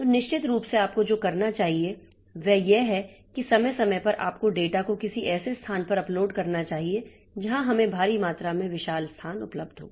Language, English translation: Hindi, So, of course, so what you should do is that periodically you should upload the data to some place where we have got huge amount of huge space available